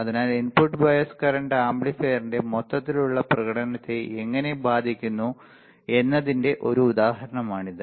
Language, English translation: Malayalam, So, this is an example how the input bias current affects the overall performance of the amplifier